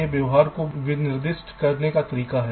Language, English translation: Hindi, these are ways to specify behavior